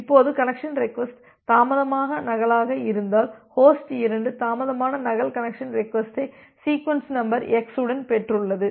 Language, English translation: Tamil, Now, if the connection request is a delayed duplicate so, the host 2 has received the delayed duplicate connection request with the sequence number x